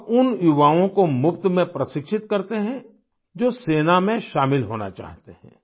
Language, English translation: Hindi, He imparts free training to the youth who want to join the army